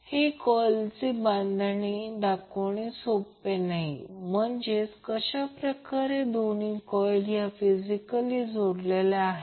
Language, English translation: Marathi, Now since it is not easy to show the construction detail of the coil that means how both of the coil are physically bound, what we do